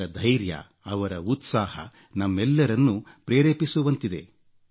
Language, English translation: Kannada, Their grit and zeal, is inspiring for all of us